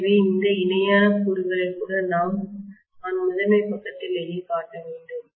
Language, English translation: Tamil, So I should show even this parallel component whatever I am showing in the primary side itself, right